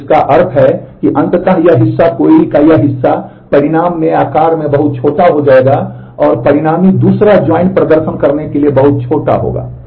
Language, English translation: Hindi, So, which means eventually this part this part of the query will become much smaller in size in the result and the consequent second join would be much smaller to perform